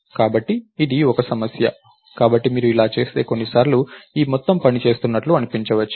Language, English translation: Telugu, So, this is a problem, so if you do this, sometimes it will may look like this whole thing is actually working